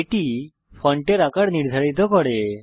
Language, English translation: Bengali, fontsize sets the font size used by print